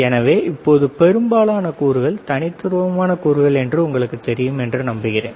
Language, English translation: Tamil, So, now I hope that we know most of the components are discrete components